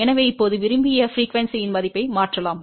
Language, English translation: Tamil, So, we can now, substitute the value of the desired frequency